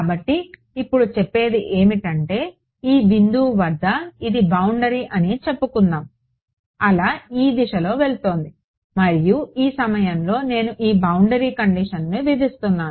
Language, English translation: Telugu, So, what is just saying that add this let us say this is this is the boundary the wave is going in this direction and at this point I am imposing this boundary condition